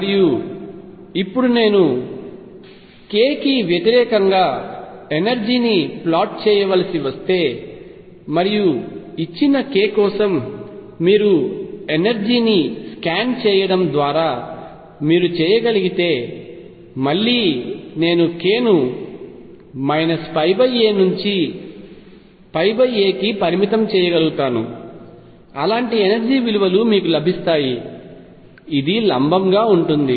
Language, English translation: Telugu, And now if I have to plot energy versus k and that you can do by scanning over energy you will find that for a given k and again I can restrict myself to k between minus pi by a to pi by a you will get energy values like this, is perpendicular and so on